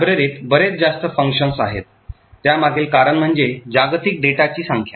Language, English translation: Marathi, The reason being that there are far more number of functions in a library then the number of global data